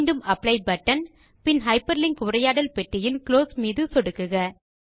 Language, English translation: Tamil, Again click on the Apply button and then click on the Close button in the Hyperlink dialog box